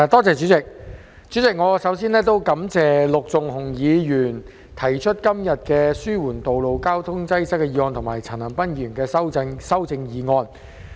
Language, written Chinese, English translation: Cantonese, 主席，我首先感謝陸頌雄議員今天提出"紓緩道路交通擠塞"的議案，以及陳恒鑌議員提出修正案。, President first of all I would like to thank Mr LUK Chung - hung for moving the motion on Alleviating road traffic congestion today and Mr CHAN Han - pan for his amendment